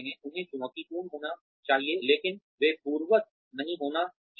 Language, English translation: Hindi, They should be challenging, but they should not be undoable